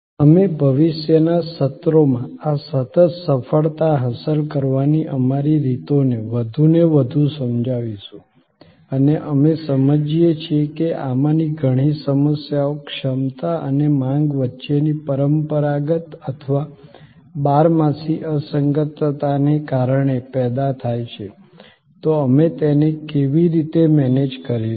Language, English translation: Gujarati, We will illustrate more and more, our ways to achieve these continuous success through in future sessions, when we understand that many of these problems are generated due to the traditional or perennial mismatch between capacity and demand, so how do we manage that